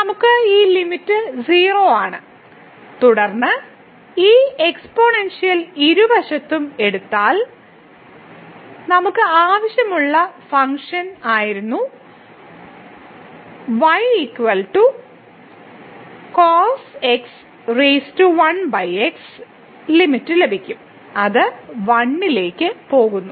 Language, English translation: Malayalam, So, we have this limit is 0 and then taking this exponential both the sides we will get the limit which was the desired function here power 1 over it goes to 1